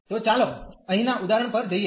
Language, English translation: Gujarati, So, let us go to the example here